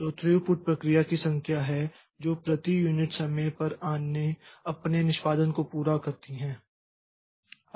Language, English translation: Hindi, So, throughput is the number of processes that that completes their execution per unit time